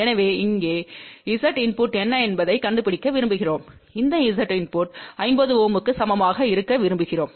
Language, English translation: Tamil, So, we want to find out what is Z input here and we want to this Z input to be equal to 50 Ohm